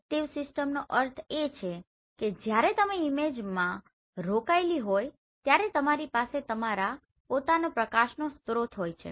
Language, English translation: Gujarati, Active system means you have your own source of light when you are engaged in imaging